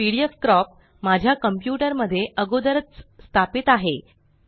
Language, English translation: Marathi, pdfcrop is already installed in my system